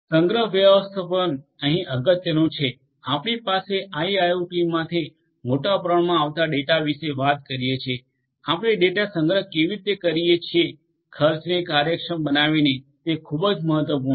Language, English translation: Gujarati, Storage management is important here we are talking about large volumes of data coming from IIoT, how do you store the data in a cost efficient manner is very important